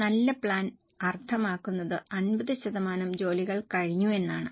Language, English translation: Malayalam, A good plan means 50% of the work is achieved